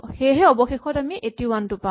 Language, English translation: Assamese, And then finally I will get 81